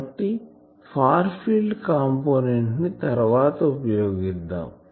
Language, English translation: Telugu, So, I can write this far field component for later use